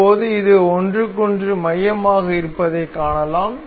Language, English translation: Tamil, Now, we can see this is concentric to each other